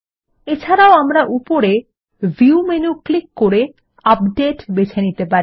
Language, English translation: Bengali, We can also click on the View menu at the top and choose Update